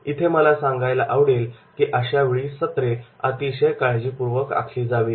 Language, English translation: Marathi, Now here I would like to mention that is the session plans are to be very carefully to be designed